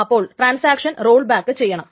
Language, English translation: Malayalam, So the transaction must roll back